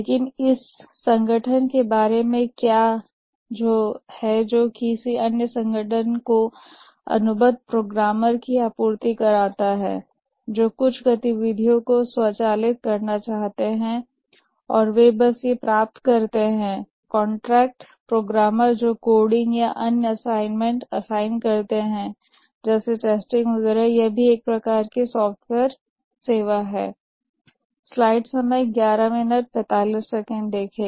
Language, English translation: Hindi, But what about an organization which supplies contract programmers to another organization who wants to automate certain activities and they just get these contract programmers who do coding or other assignment assigned activities like testing and so on